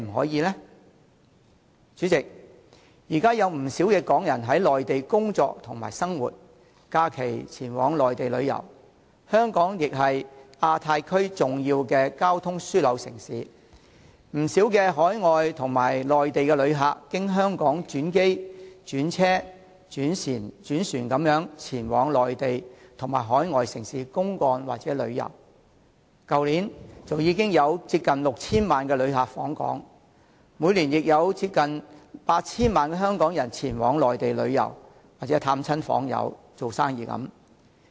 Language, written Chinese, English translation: Cantonese, 代理主席，現在有不少港人在內地工作和生活，並於假日前往內地旅遊，而香港本身亦是亞太區重要的交通樞紐城市，不少海外及內地旅客均經香港轉機、轉車或轉船前往內地和各海外城市公幹或旅遊，去年已有接近 6,000 萬人次的旅客訪港，而平均每年亦有接近 8,000 萬人次香港人前往內地旅遊、探訪親友或營商等。, Deputy President many Hong Kong people are now working and living on the Mainland and they often travel to different Mainland places during holidays . On the other hand Hong Kong is a key transport hub in the Asia - Pacific Region and a lot of overseas and Mainland visitors are transiting via Hong Kong by air land or sea to other Mainland and overseas cities in their business or travel trips . The visitor arrivals last year were nearly 60 million while there is an average of nearly 80 million Hong Kong visitor arrivals to the Mainland every year for sightseeing visiting friends and relatives or business